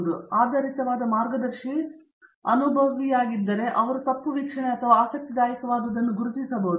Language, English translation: Kannada, So, the guide based on is such experienced can identify whether it is a wrong observation or something interesting